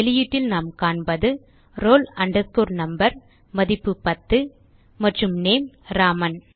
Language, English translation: Tamil, We see in the output that the roll number value is ten and name is Raman